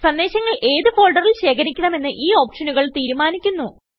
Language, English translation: Malayalam, These options determine the folder in which the messages are archived